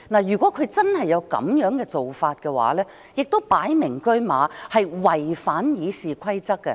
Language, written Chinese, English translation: Cantonese, 如果他真的有這樣的做法，亦是"擺明車馬"違反《議事規則》的。, If he really takes this approach it is nothing but a blatant violation of the RoP